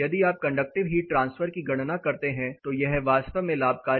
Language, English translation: Hindi, Advantage is if you calculate conductive heat transfer this is really advantage